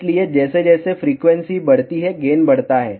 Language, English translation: Hindi, So, as frequency increases, gain increases